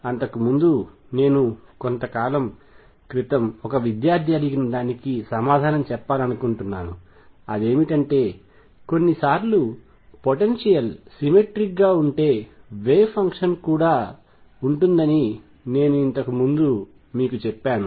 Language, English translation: Telugu, Way before that I just want to answer a question sometimes a student’s ask that earlier I had told you that the wave function is symmetric if the potential is symmetry